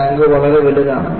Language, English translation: Malayalam, And, the tank was very huge